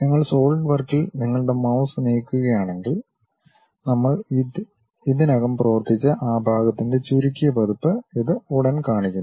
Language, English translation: Malayalam, If you are just moving your mouse on Solidwork, it straight away shows the minimized version of what is that part we have already worked on